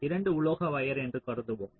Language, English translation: Tamil, ah, we consider the metal two wire